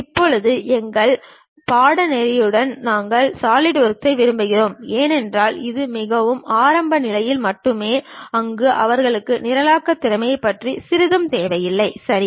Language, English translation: Tamil, Now, for our course we prefer Solidworks uh because this is meant for very beginners where they do not even require any little bit about programming skills, ok